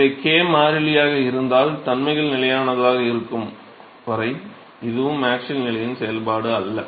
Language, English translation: Tamil, So, this is also not a function of the axial position as long as the properties are constant, if k is constant